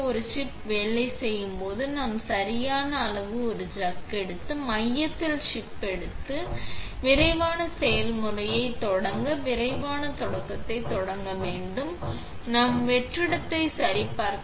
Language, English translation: Tamil, When working with a chip, we take a chuck of the right size, place the chip in the center, close the lid and start the quick process, quick start, just so we check that the vacuum is ok